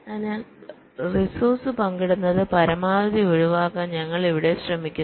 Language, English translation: Malayalam, so here we are trying to avoid the sharing of resources as much as possible